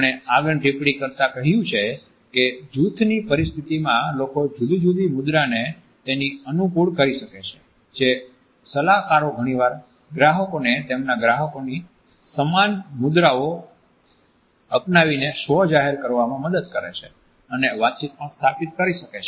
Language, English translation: Gujarati, He has also found that in a group setting, people may adapt poses which are similar to those in the group that they agree with and counselors often help clients self disclose by adopting similar postures to those of their clients to establish and open communication